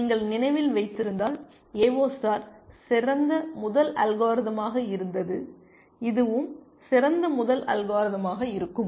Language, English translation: Tamil, AO star was the best first algorithm if you remember and this is also going to be the best first algorithm